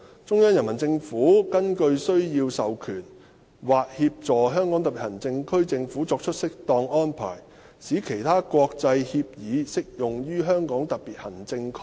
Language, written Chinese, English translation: Cantonese, 中央人民政府根據需要授權或協助香港特別行政區政府作出適當安排，使其他有關國際協議適用於香港特別行政區。, The Central Peoples Government shall as necessary authorize or assist the government of the Region to make appropriate arrangements for the application to the Region of other relevant international agreements